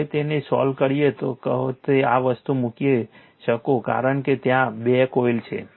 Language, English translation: Gujarati, Now you can solve it by putting this thing because 2 coils are there right